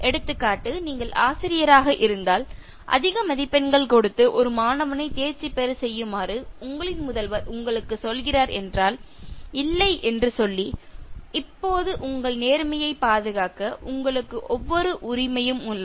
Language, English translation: Tamil, Example: If you are the teacher and the principal is telling you to give more marks and pass a candidate, now you have every right to protect your integrity